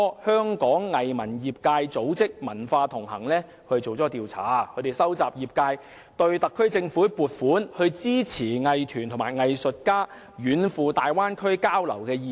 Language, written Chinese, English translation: Cantonese, 香港藝術文化業界組識"文化同行"今年年初進行了一項調查，收集業界對特區政府撥款支持藝團及藝術家遠赴大灣區交流的意見。, ARTicipants an arts group from Hong Kongs arts and cultural sector conducted a survey early this year to gauge the sectors views on the Governments provision of funding support for arts groups and artists in conducting exchanges in the Bay Area afar